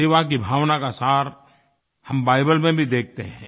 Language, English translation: Hindi, The essence of the spirit of service can be felt in the Bible too